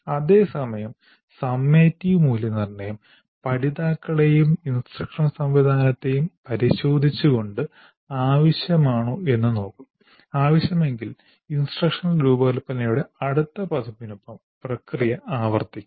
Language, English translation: Malayalam, Whereas summative evaluation, we do it by probing the learners and the instructional system to decide whether revisions are necessary in which case the process would be repeated with the next version of instructions